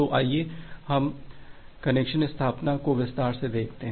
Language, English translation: Hindi, So, let us look into the connection establishment in details